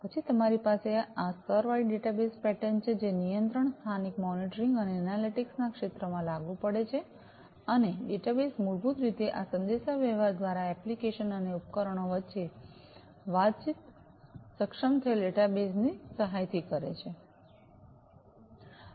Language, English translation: Gujarati, Then you have the layered data bus pattern, which is applicable in the field of control local monitoring and analytics, and the database basically communicates between the applications and devices through this communication is enabled with the help of the data bus